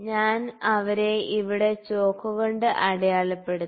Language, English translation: Malayalam, I have marked them with chalk here